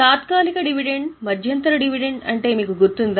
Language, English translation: Telugu, Do you remember what is interim dividend